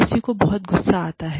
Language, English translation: Hindi, People will get, angry